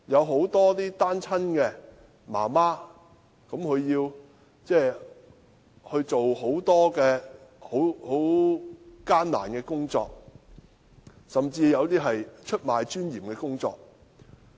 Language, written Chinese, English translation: Cantonese, 很多單親媽媽也要做很多艱苦的工作，甚至是出賣尊嚴的工作。, A number of single - parent mothers have to work many tough jobs or even jobs that subject them to indignity